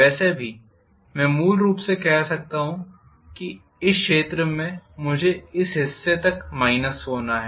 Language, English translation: Hindi, But anyway I can say basically this area I have to minus until this portion